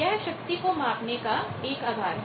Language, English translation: Hindi, So, this is the basis of power measurement